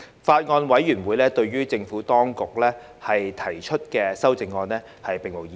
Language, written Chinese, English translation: Cantonese, 法案委員會對於政府當局提出的修正案並無異議。, The Bills Committee has raised no objection to the amendments proposed by the Administration